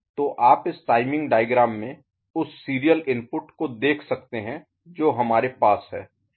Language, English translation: Hindi, So, you can see in this timing diagram the serial input that we are having